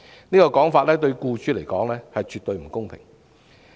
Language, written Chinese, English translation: Cantonese, 這種說法對僱主來說絕對不公平。, Such a notion is absolutely unfair to employers